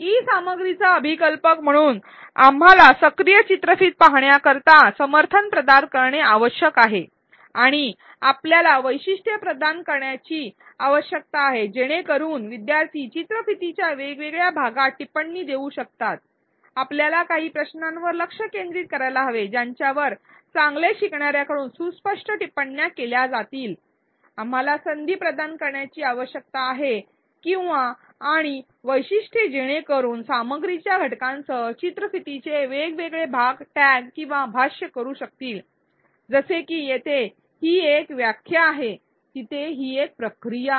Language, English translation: Marathi, As designers of e content, we need to provide supports for active video watching and we need to provide features so that learners can comment at different parts of the video, we need to provide focus questions to elicit learner comments explicit focus questions, we need to provide opportunities or and features so that learners can tag or annotate different parts of the video with the elements of the content such as here it is a definition, there it is a process and so on